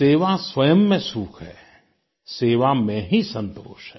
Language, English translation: Hindi, service is a satisfaction in itself